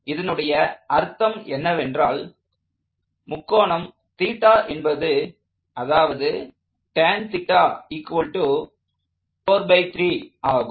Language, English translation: Tamil, So, the meaning of this is that this angle theta is such that tan theta equals 4 over 3